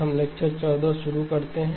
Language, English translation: Hindi, We begin lecture 14